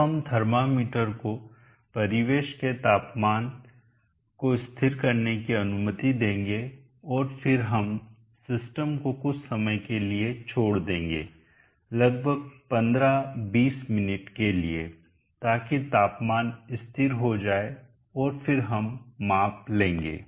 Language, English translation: Hindi, We will now allow the thermometer to stabilize the ambient temperature and then we will leave the system on fort sometime may be around 15, 20 minutes, so that the temperature stabilizes and then we will take the measurement